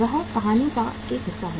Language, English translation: Hindi, That is a one part of the story